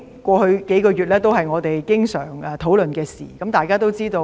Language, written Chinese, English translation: Cantonese, 過去數個月，我們經常討論孟晚舟案。, In the past few months we often discussed the MENG Wanzhou case